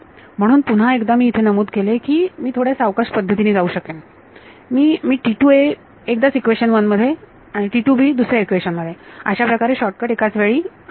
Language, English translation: Marathi, So, once again I must mentioned that I could go in a in a slightly slower manner, I could just take T a 2 ones that 1 equation, take T take T take T b 2 ones get another equation this is like a shortcut that we do we will take at the same time